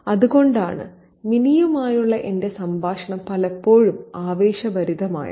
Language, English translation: Malayalam, That's why my conversation with Minnie is often feisty